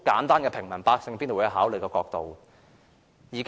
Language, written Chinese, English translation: Cantonese, 這是平民百姓必定會考慮的簡單問題。, This is a simple question which ordinary people will have in mind